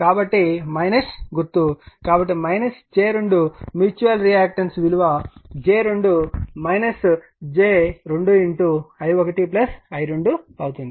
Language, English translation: Telugu, So, minus sign so, minus j 2 mutual your reactance is j 2 minus j 2 into i 1 plus i 2